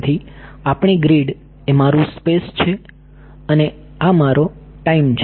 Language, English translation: Gujarati, So, our grid this is my space and this is my time